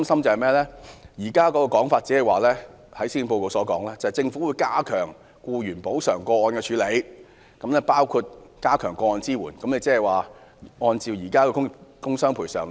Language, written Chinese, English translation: Cantonese, 令我們擔心的是，施政報告表示"政府會加強僱員補償個案的處理，包括加強'個案支援服務'"。, What worries us is that the Policy Address says the Government will strengthen the processing of employees compensation claims with enhanced Claims Support Services